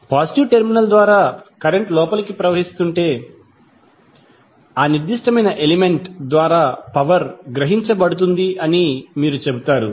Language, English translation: Telugu, If the current is flowing inside the element then the inside the element through the positive terminal you will say that power is being absorbed by that particular element